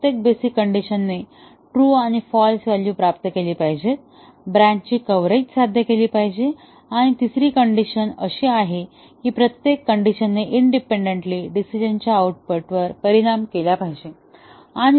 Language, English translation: Marathi, Each basic condition should achieve true and false values, the branch coverage should be achieved and the third condition is that every condition must independently affect the decision’s output